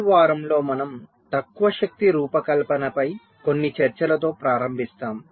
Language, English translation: Telugu, so in this week we shall be starting with some discussions on low power design